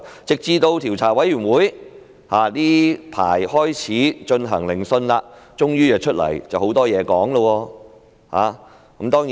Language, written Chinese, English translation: Cantonese, 直至調查委員會最近開始進行聆訊，他們才終於出現，而且說了很多話。, It was only until the Commission of Inquiry started to conduct hearings recently that they eventually showed up and made a lot of comments